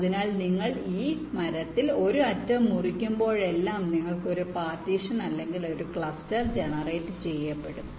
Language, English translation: Malayalam, so every time you cut an edge in this tree you will get one more partition or cluster generated